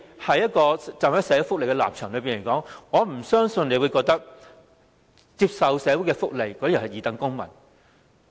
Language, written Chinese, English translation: Cantonese, 從社會福利的角度而言，我不相信局長會認為接受社會福利的人是二等公民。, From the perspective of social welfare I do not believe the Secretary will consider recipients of social welfare as second - class citizens